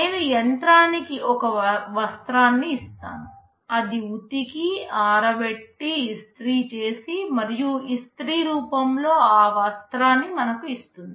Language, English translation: Telugu, I give the machine a cloth, it will wash it, dry it, iron it, and output that cloth in the ironed form